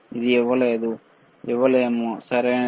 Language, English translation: Telugu, It cannot give, right